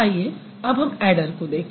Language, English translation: Hindi, Now let's look at an adder